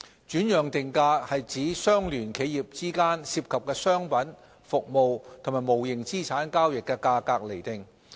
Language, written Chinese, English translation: Cantonese, 轉讓定價指相聯企業之間涉及商品、服務及無形資產交易的價格釐定。, Transfer pricing refers to the setting of prices for transactions of goods services and intangible property between associated enterprises